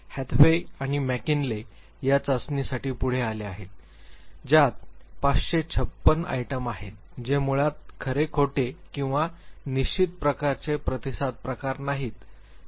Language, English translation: Marathi, Hathaway and Mckinley they came forward this very test which has 556 items which are basically true false or not sure type of responses format